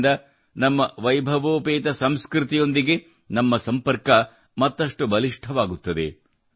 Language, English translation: Kannada, This will further strengthen the connection of us Indians with our glorious culture